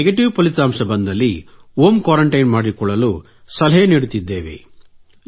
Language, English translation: Kannada, If negative, we advise the patient on home quarantine, how it is to be done at home